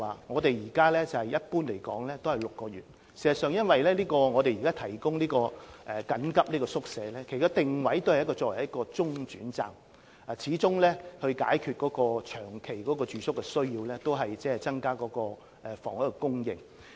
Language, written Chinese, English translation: Cantonese, 我想指出，現時一般的居住期是6個月，因為我們提供這些緊急宿舍，其定位是作為中轉站；若要解決露宿者的長期住宿需要，始終要靠增加房屋供應。, Those are the places not specifically used for the placement of street sleepers . I would like to point out that at present the duration of stay is generally set at six months because these emergency hostels are positioned as interim accommodation . If the long - term accommodation need of street sleepers is to be met we can only rely on an increase in housing supply